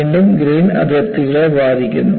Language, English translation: Malayalam, Again, the grain boundaries are affected